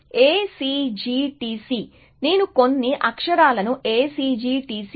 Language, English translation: Telugu, So, I will just use the few characters A C G T C